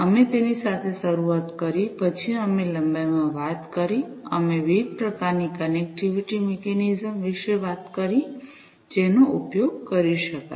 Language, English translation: Gujarati, We started with that then we talked about in length, we talked about the different types of connectivity mechanisms, that could be used